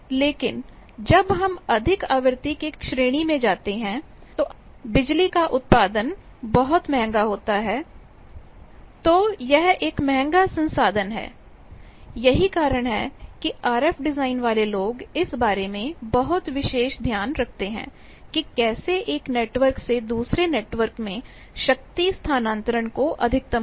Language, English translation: Hindi, But when we go higher up in frequency, when producing power is very costly, it is a costly resource that is why the RF design people they take very special care about, how to maximize the transfer of power from one network to another network